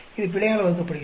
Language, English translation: Tamil, This divided by error